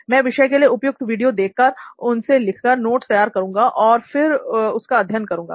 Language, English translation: Hindi, So I would be watching relevant videos to the subject and then noting it down and preparing notes and then learning the material